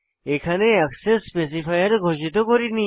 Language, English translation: Bengali, Here I have not declared any access specifier